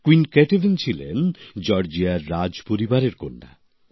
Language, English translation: Bengali, Queen Ketevan was the daughter of the royal family of Georgia